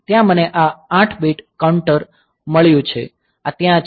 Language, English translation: Gujarati, So, there I have got this 8 bit contour; so, the so, this is there